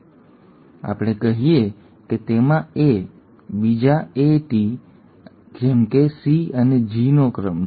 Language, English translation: Gujarati, Let us say it has a sequence of an A, another A, a T, another T, say a C and a G